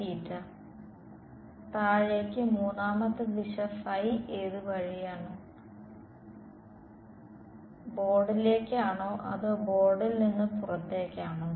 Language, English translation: Malayalam, Downwards, which way is the third direction is phi, is into the board or out to the board